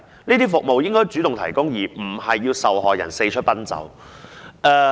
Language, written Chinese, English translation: Cantonese, 這些服務應該主動提供，而不應讓受害人四出奔走。, Such services should be provided in a proactive manner instead of letting the victim to hop around different locations